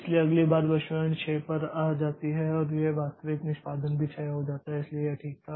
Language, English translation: Hindi, So, next time the prediction comes down to 6 and this actual execution is also 6 so it was fine